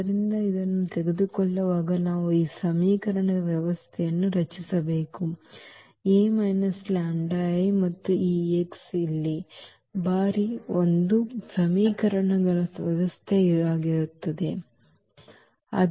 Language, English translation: Kannada, So, while taking this we have to now form the system of equation A minus lambda I and times this x here so, that will be the system of equations